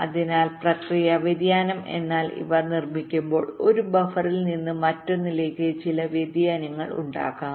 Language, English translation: Malayalam, variation means when these are fabricated, there will be some variations from one buffer to the other